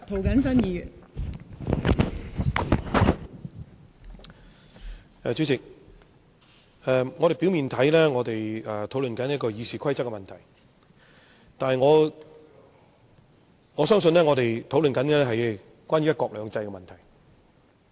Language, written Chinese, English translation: Cantonese, 代理主席，表面上我們正在討論《議事規則》的問題，但我相信，實際上我們正在討論"一國兩制"的問題。, Deputy President on the surface we are discussing the Rules of Procedure RoP but I believe we are actually discussing one country two systems